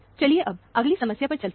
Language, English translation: Hindi, Let us move on to the next problem